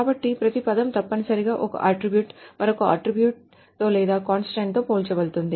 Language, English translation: Telugu, So each term is essentially an attribute is compared with another attribute or a constant